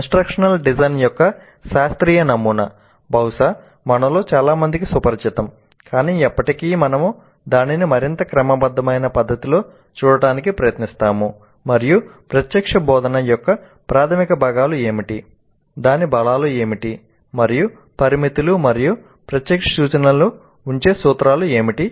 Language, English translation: Telugu, A classical model of instruction design, probably one with which most of us are familiar, but still we will try to look at it in a more systematic fashion and we will see what are the basic components of direct instruction, what are its strengths and limitations and what are the principles on which the direct instruction is placed